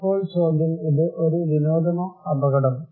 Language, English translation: Malayalam, Now the question, is it a fun or danger